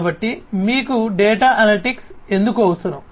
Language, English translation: Telugu, So, why do you need data analytics